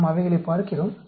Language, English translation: Tamil, We look at them